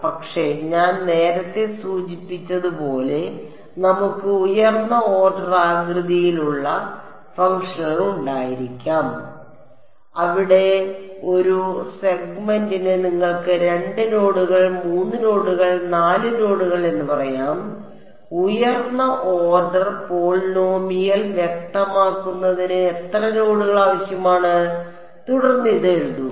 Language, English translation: Malayalam, But, as I mentioned earlier we can have higher order shape functions, where for a segment you need let us say 2 nodes 3 nodes 4 nodes whatever right those many number of nodes are required to specify a higher order polynomial, then to write out this first expression over here becomes tedious right